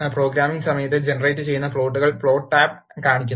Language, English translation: Malayalam, The Plots tab shows the plots that are generated during the course of programming